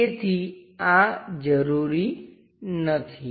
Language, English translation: Gujarati, So, this one not required